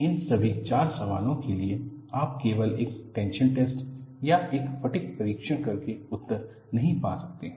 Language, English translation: Hindi, For all these four questions, you cannot find an answer by performing only a tension test or a fatigue test